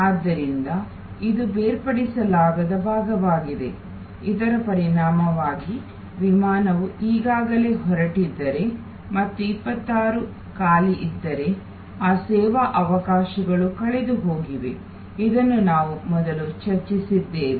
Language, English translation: Kannada, So, this is the inseparability part, as a result if the flight has already taken off and there were 26 vacant, that service opportunities gone, this we have discussed before